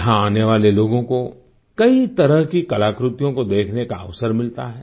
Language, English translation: Hindi, People who come here get an opportunity to view myriad artefacts